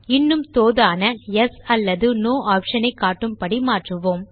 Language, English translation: Tamil, We will change this to show a friendlier Yes or No option